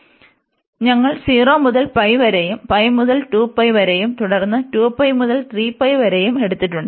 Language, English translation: Malayalam, So, we have taken the 0 to pi, pi to 2 pi, and then 2 pi to 3 pi, and so on